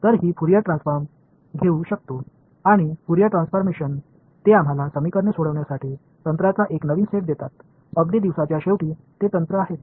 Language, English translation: Marathi, So, I can take Fourier transforms and Fourier transforms they give us a new set of techniques to solve equations right, at the end of the day they are techniques